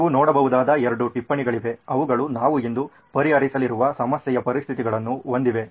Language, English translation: Kannada, There are two sticky notes that you can see, those have the conditions of the problem that we are going to solve today